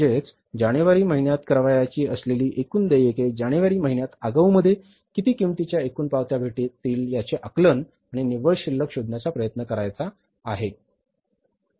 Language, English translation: Marathi, So, it means total payments we have to assess in advance to be made in the month of January, total receipts we have to assess in advance to be received in the month of January and we have to try to find out the net balance